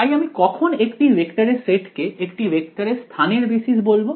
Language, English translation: Bengali, So, when will I call the set of vectors a basis for a vector space